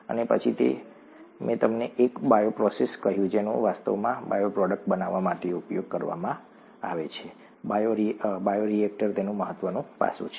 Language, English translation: Gujarati, And then I told you a bioprocess which is what is actually used to produce bioproducts, bioreactor is an important aspect of it